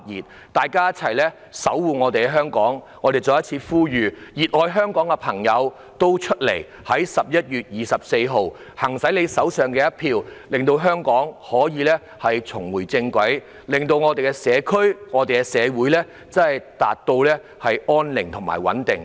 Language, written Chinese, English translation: Cantonese, 請大家一起守護香港，讓我再一次呼籲，熱愛香港的朋友走出來，在11月24日用手上的一票令香港重回正軌，令我們的社區和社會回復安寧和穩定。, Again let me call on people who love Hong Kong to come out and use your votes to bring Hong Kong back on track on 24 November so as to restore peace and tranquility in our community and society